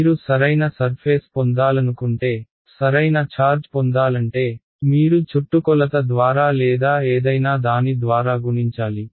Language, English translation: Telugu, If you want to get the correct surface get the correct charge you have to multiply by the circumference or whatever